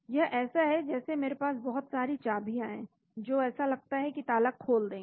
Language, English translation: Hindi, It is like I have lot of keys which seem to open the lock